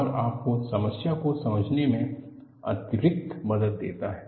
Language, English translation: Hindi, It gives you additional help in understanding the problem